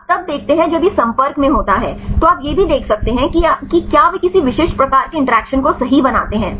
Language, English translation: Hindi, You see then this is when in contact right there also you can see whether they form any specific types of interactions right